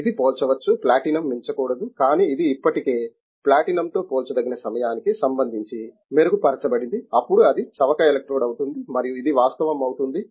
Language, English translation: Telugu, It can be comparable, not exceeding the platinum, but it is already comparable with platinum today with respect to time it will be improved, then it will be cheaper electrode and it will become a reality